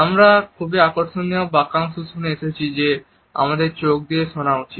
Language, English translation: Bengali, There is a very interesting phrase which we come across that we should listen through eyes